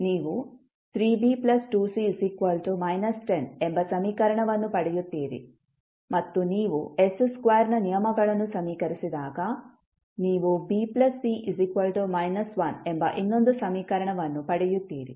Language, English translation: Kannada, You will get the equation that is 3B plus 2C is equal to minus 10 and when you equate the terms of s square, you will get another equation that is B plus C is equal to minus 1